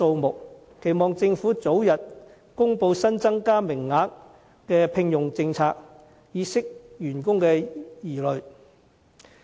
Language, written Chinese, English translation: Cantonese, 我期望政府早日公布新增加名額的聘用政策，以釋除員工疑慮。, I hope the Government can announce the employment policy for the new civil service positions so as to allay staff anxieties